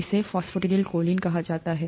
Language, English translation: Hindi, This is called phosphatidyl choline